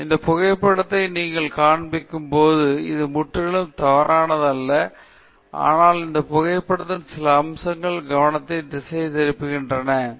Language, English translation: Tamil, So, when you show this photograph, it’s not that it’s completely wrong, but there are certain aspects of this photograph that make it distracting